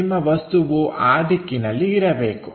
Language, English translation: Kannada, So, your object supposed to be in that direction